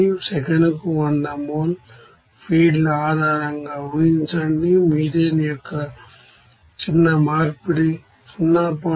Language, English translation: Telugu, Assume a basis of 100 moles feeds per second, the fractional conversion of methane is 0